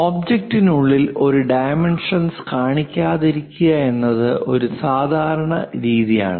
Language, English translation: Malayalam, It is a standard practice not to show any dimension inside the object